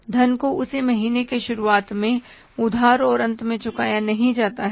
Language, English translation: Hindi, So, borrowing in the beginning of one month and repayment at the end of the next month